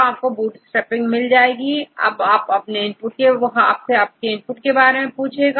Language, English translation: Hindi, So, you get this bootstrapping right, it will ask for the input